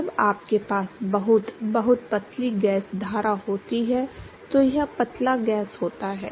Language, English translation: Hindi, It is dilute gasses when you have very, very thin gas stream